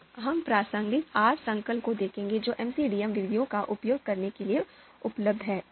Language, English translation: Hindi, If we look at the relevant R packages that are available for MCDM to to use MCDM methods